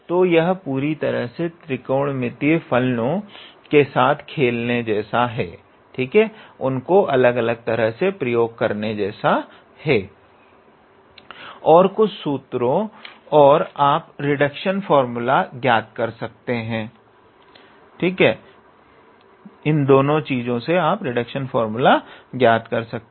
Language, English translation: Hindi, So, it is all about playing with the trigonometrical functions and some formulas and you sort of obtain the required reduction formula